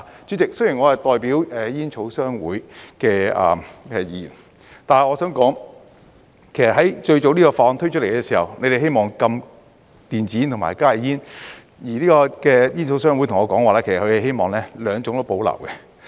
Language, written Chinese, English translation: Cantonese, 主席，雖然我是代表煙草商會的議員，但我想說，在這項法案最早推出來的時候，你們是希望禁電子煙和加熱煙，而煙草商會對我說，其實他們希望兩種都保留。, President although I am the Member representing the Tobacco Association I would like to say that when this Bill was first introduced it was intended that a ban should be imposed on both e - cigarettes and HTPs . Yet the Tobacco Association told me that they actually wanted to have both products retained